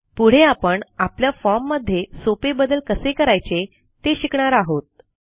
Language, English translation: Marathi, Next, let us learn how to make simple modifications to our form